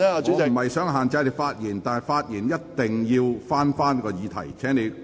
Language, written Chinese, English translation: Cantonese, 我並非想限制你的發言，但發言一定要針對議題。, I do not mean to restrict your making of speeches but you must focus on the question